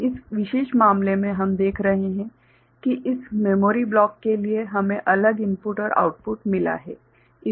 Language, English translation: Hindi, So, in this particular case what we are showing that for this memory block we have got separate input and output